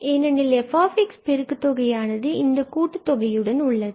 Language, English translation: Tamil, Well and then we have the product of f x with this summation